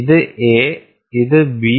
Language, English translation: Malayalam, This is A, and this is B